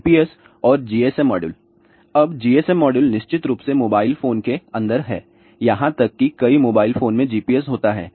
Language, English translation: Hindi, GPS and GSM modules: now, GSM modules of course, are there inside the mobile phone even many mobile phones have GPS